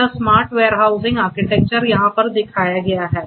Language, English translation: Hindi, This smart warehousing architecture is shown over here